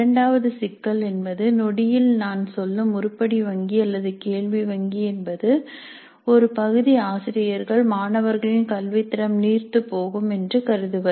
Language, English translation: Tamil, The second issue is that the moment we say item bank or question bank or anything like that, certain segment of the faculty might consider that this will dilute the quality of learning by the students